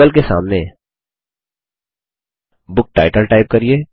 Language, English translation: Hindi, Against label, type in Book Title